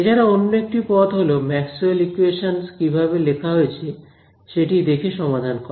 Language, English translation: Bengali, So, the other way of solving them is by looking at what form in which Maxwell’s equations are written